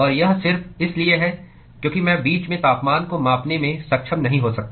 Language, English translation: Hindi, And that is simply because I may not be able to measure the temperatures in between